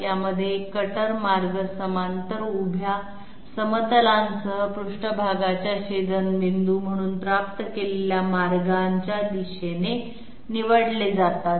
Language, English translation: Marathi, In this one cutter paths are chosen along paths obtained as intersection of the surface with parallel vertical planes